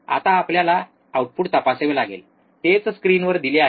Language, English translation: Marathi, Now we have to check the output, we have to check the output, that is what is given in the screen